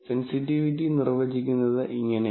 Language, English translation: Malayalam, So, this is how sensitivity is defined